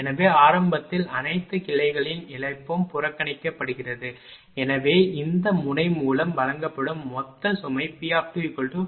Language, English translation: Tamil, So, initially loss of all the branches are neglected therefore, total load fed through this node will be P L 2 plus P L 3 plus P L 4 just repeating this